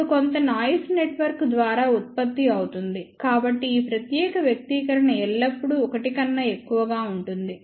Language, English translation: Telugu, Now, of course some noise will be generated by the network, so this particular expression will be always greater than 1